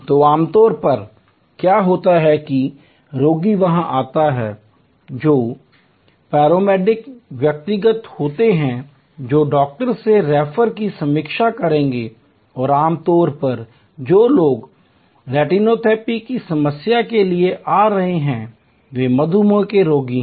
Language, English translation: Hindi, So, usually what happens is that the patient comes in there are paramedic personal who will review the referral from the doctor and usually the people who are coming for retinopathy problem they are diabetic patients